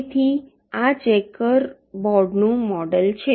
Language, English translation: Gujarati, so this is what the checker board model is